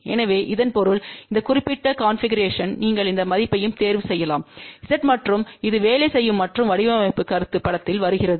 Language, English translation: Tamil, So that means, this particular configuration you can choose any value of Z and this will work and this is where the design concept comes into picture